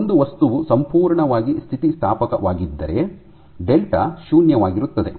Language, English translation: Kannada, So, if a material was perfectly elastic then delta is 0